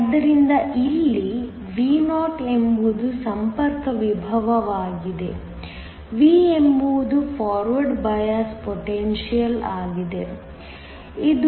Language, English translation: Kannada, So, Vo here is the contact potential, V is the forward bias potential, that is 0